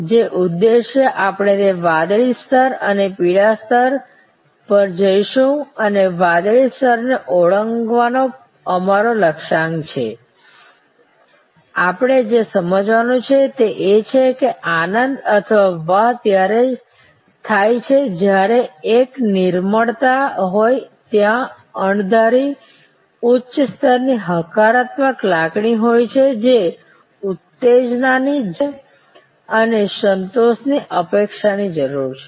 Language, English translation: Gujarati, The objective which we will looked at that blue level and the yellow level and our target of exceeding the blue level, what we have to understand is that the delight or wow happens when there is an serendipity, there is unexpected high level of positive feeling which therefore, goes much beyond need arousal and need satisfaction expectation